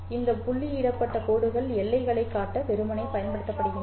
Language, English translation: Tamil, These dotted lines are simply used to show the boundaries